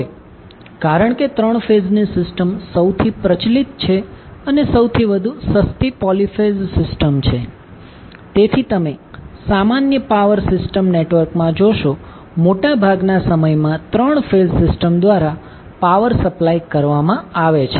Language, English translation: Gujarati, Now, since 3 phase system is most prevalent in and most economical poly phase system, so, that is why you will see in the normal power system network, most of the time the power is being supplied through 3 phase system